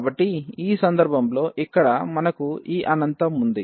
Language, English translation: Telugu, So, in this case here we have like this infinity